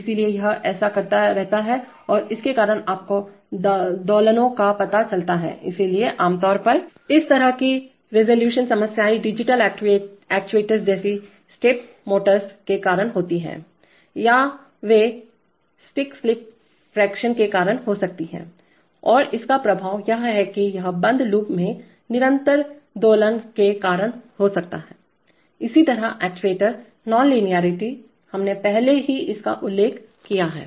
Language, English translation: Hindi, So it keeps on doing this and that causes you know oscillations, so typically, Such resolution problems are caused either by digital actuators like step motors or they could be caused by stick slip friction and the effect is that it may cause a sustained oscillation in closed loop similarly actuator non linearity, we have already mentioned this